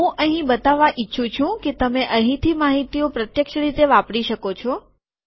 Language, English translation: Gujarati, What I want to show here is that you can use the information from here directly